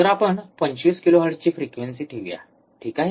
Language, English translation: Marathi, Let us keep frequency of 25 kilohertz, alright